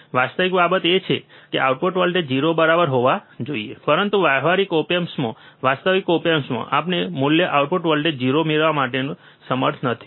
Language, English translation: Gujarati, Actual thing is, the output voltage should be 0 right, but in actual op amp in the practical op amp, we are not able to get the value output voltage 0, right